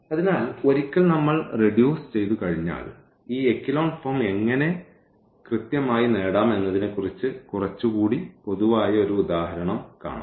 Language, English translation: Malayalam, So, once we reduce and we will see in one of the examples a little more general example how to exactly get this echelon form